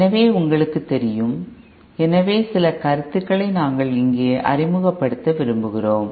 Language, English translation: Tamil, So you know so those are the few concepts that we introduce here